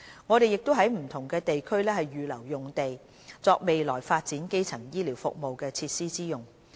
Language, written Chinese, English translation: Cantonese, 我們亦已在不同地區預留用地，作未來發展基層醫療服務設施之用。, We have also set aside sites in some districts for the future development of primary health care facilities